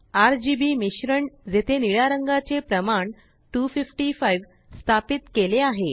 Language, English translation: Marathi, RGB combination where blue value is set to 255